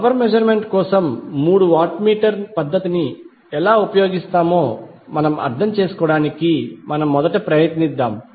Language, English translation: Telugu, Let us first try to understand how we will use three watt meter method for power measurement